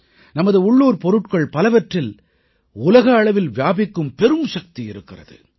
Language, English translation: Tamil, Many of our local products have the potential of becoming global